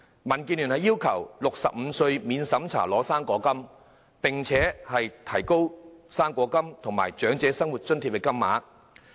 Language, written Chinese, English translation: Cantonese, 民建聯要求調低至65歲便可免審查領取"生果金"，並調高"生果金"和長者生活津貼的金額。, DAB requests that the eligibility age for the non - means tested fruit grant should be lowered to 65 and the rates of the fruit grant and OALA should be increased